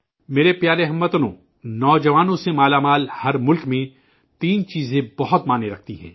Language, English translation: Urdu, My dear countrymen, in every country with a large youth population, three aspects matter a lot